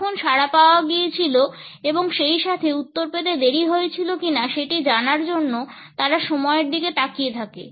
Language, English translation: Bengali, They look at the time, when the response was received as well as if there is any delay in receiving the reply